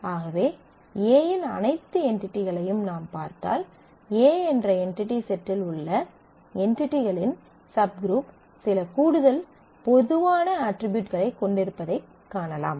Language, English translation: Tamil, So, if you look at all the entities that A may have you will find that a subgroup of the entities in the entity set A have some additional common properties